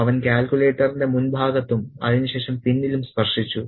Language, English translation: Malayalam, He touched the front of the calculator and then the back